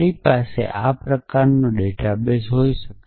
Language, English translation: Gujarati, So, I could have this kind of database